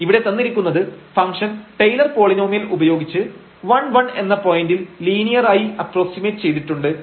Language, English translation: Malayalam, So, it is given here that this function is linearly approximated by the Taylor’s polynomial about this point 1 1